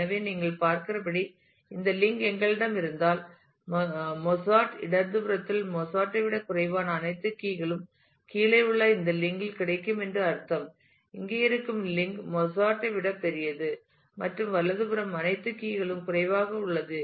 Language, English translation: Tamil, So, as you can see; so if we have this link, then on the left of Mozart, then it means all keys which are less than Mozart will be available on this link below; the link that exists here is for all keys which are greater than Mozart and less than right